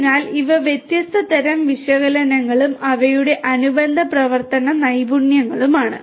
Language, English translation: Malayalam, So, these are the different types of analytics and their corresponding time skills of operation